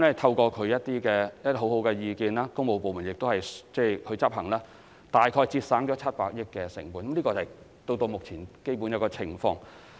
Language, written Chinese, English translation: Cantonese, 透過其提出的良好意見，加上工務部門予以執行，政府至今大概節省了700億元成本，這是至今為止的基本情況。, As the works departments have heeded sound advice from the office the Government has so far trimmed around 70 billion from the original cost estimates of such projects and this is the basic situation in this respect so far